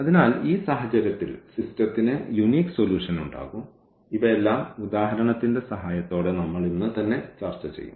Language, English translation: Malayalam, So, in that case the system will have unique solution we will discuss all these with the help of example today itself